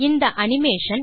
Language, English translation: Tamil, Play this animation